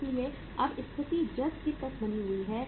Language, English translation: Hindi, So now the situation remains the same